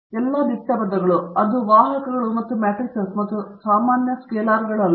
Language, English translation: Kannada, Again, all the bold terms indicates that they are vectors and matrices and not the regular usual scalars